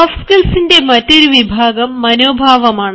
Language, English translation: Malayalam, another category of soft skills are attitude